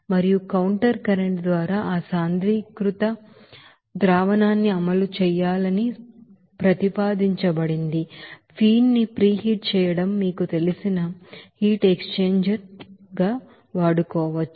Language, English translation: Telugu, And also it is proposed to run that concentrated solution through a counter current, you know heat exchanger to you know preheat the feed